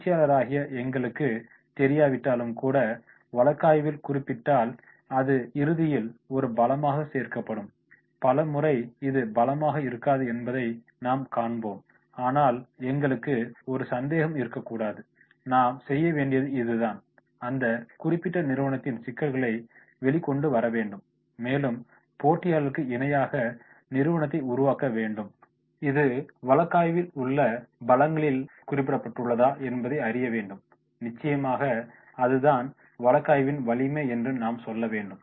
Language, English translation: Tamil, Even if we are unsure if this will ultimately be positive included as a strength if the case mentioned it, so many a times we find that this may not be the strength but we should not have a doubt and what we are supposed to do that is we have to come out with these particular company and making of the company with the competitors and find out that is whether if this has been mentioned in the strengths in the case then definitely we have to say that yes it is the strength of the case